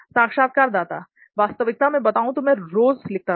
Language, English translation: Hindi, Actually I will tell you, I used to write daily